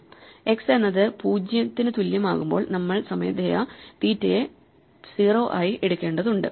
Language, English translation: Malayalam, Only thing we have to take care is when x is equal to 0, we have to manually set theta to 0